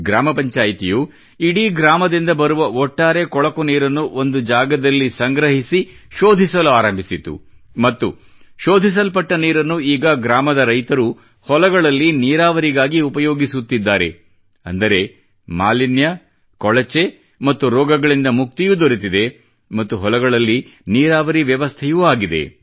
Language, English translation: Kannada, The village Panchayat started filtering the dirty water coming from the village after collecting it at a place, and this filtered water is now being used for irrigation by the farmers of the village, thereby, liberating them from pollution, filth and disease and irrigating the fields too